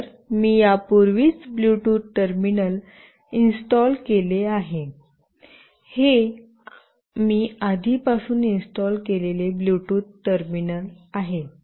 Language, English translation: Marathi, So, I have already installed a Bluetooth terminal, this is the Bluetooth terminal that I have already installed